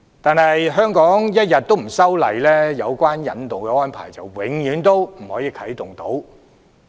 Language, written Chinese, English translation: Cantonese, 但是，香港一天不修訂，有關的引渡安排便一天不能啟動。, However if Hong Kong does not amend the legislation no extradition arrangement can be activated